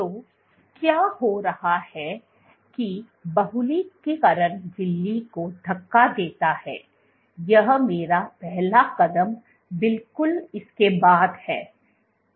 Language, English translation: Hindi, So, what is happening is that polymerization pushes the membrane, this is my first step and right after this